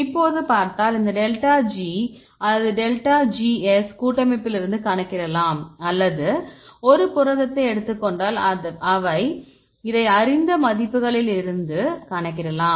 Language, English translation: Tamil, So, now you here if you see the right hand side these delta G or delta Gs you can calculate from the complex or if we take a free protein you can calculate this all the values are known